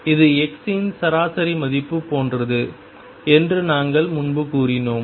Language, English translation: Tamil, And we said earlier that this is like the average value of x